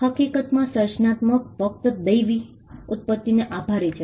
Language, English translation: Gujarati, In fact, creativity was attributed only to divine origin